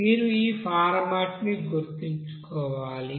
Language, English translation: Telugu, So you have to remember this format